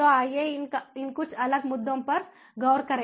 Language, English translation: Hindi, so let us look at some of these different issues